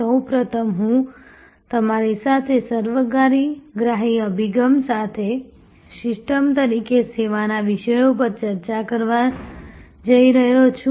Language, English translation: Gujarati, First of all, I am going to discuss with you, the topic of Services as Systems, with a Holistic Approach